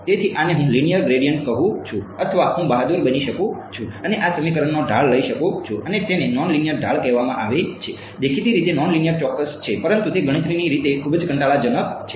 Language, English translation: Gujarati, So, this is what I call the linear gradient or I can be brave and take a gradient of this expression and that will be called a non linear gradient; obviously, non linear is exact, but it's computationally very tedious